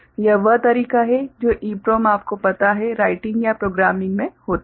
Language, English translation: Hindi, This is the way the EPROM you know, writing or programming takes place